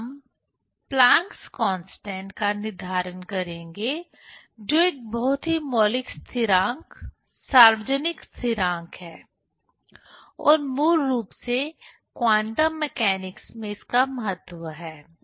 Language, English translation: Hindi, Then we will determine the Plancks constant which is a very fundamental constant, universal constant and that was basically, it has importance in quantum mechanics